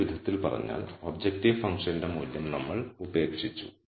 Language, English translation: Malayalam, So, in other words we have given up on the value of the objective function